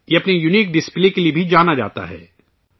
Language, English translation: Urdu, It is also known for its unique display